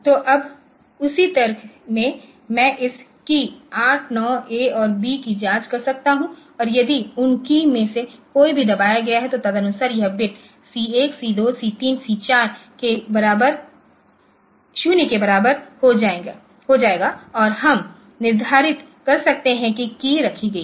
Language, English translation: Hindi, So, now in the same logic so I can check these keys 8, 9 A and B and they will be if any of those keys have been any has been pressed then accordingly this the bit C 1, C 2, C 3 or C 4 will become equal to 0 and we can do we can determine that the key has been placed